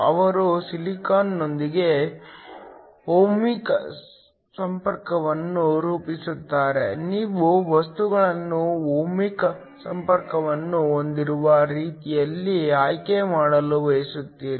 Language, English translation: Kannada, They form a ohmic contact with silicon you want to choose the materials in such a way, that you have an ohmic contact